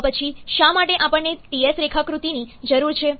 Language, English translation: Gujarati, Then, why we need the Ts diagram